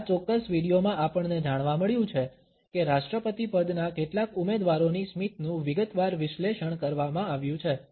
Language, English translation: Gujarati, In this particular video, we find that a detailed analysis of smiles of certain us presidential candidates has been done